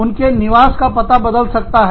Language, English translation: Hindi, Their home address, may change